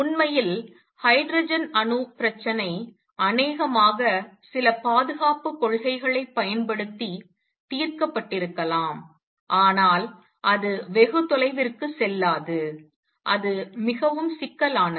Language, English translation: Tamil, In fact, the hydrogen atom problem was solved by probably using some conservation principles, but it did not go very far it became very complicated